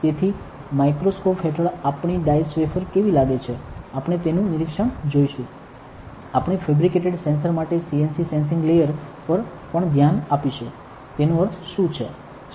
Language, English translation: Gujarati, So, how our diced wafer under the microscope looks like, we will see the inspection of that; also we will look at the CNT sensing layer for fabricated sensor what does it mean